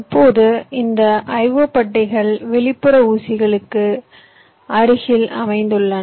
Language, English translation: Tamil, now this i o pads are located adjacent to the external pins